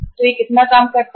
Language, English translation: Hindi, So how much it works out